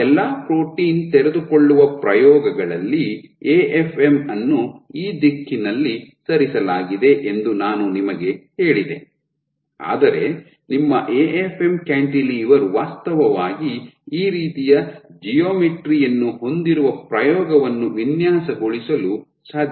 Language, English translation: Kannada, So, in all our protein unfolding experiments, I told you the AFM is moved in this direction, but it is possible to design an experiment in which your AFM cantilever has actually a geometry like this